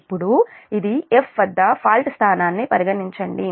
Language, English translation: Telugu, now consider the fault location at f